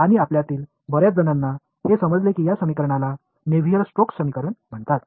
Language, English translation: Marathi, And many of you will know that these equations are called the Navier Stokes equations